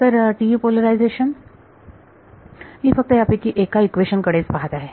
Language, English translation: Marathi, So, the TE polarization I am just looking at one of these equations ok